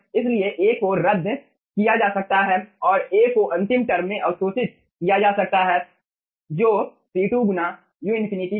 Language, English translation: Hindi, so a can be cancelled out and a can be absorbed in the last term, which was c2 into u infinity